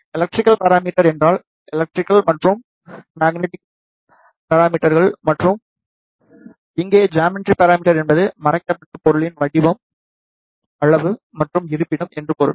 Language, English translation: Tamil, The electrical parameter means that the electrical and the magnetic properties and here the geometrical parameter means the shape size and the location of the hidden object